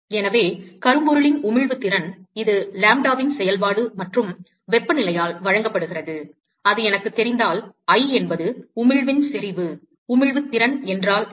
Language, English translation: Tamil, So, the emissive power of Black body, which is only a function of lambda, and temperature, is given by, if I know that, I is the intensity of emission, what is the emissive power